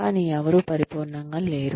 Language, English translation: Telugu, But, nobody is perfect